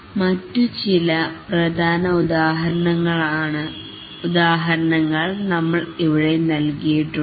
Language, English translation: Malayalam, There are many other, we just given some important examples here